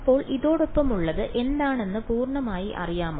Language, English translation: Malayalam, So, this is fully known what is accompanying it